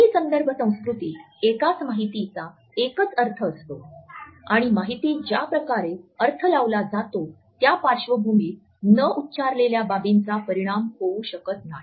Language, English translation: Marathi, In low context culture a single information has only a single meaning and the way an information is to be decoded is not to be influenced by the rest of the unsaid things which have gone into the background